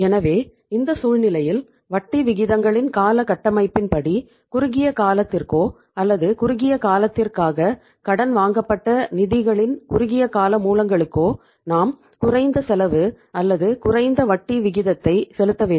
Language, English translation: Tamil, So in this situation, the term structure of interest rates, shorter the duration or the short term sources of the funds which are borrowed for the shorter duration we have to pay the lesser cost or the lesser rate of interest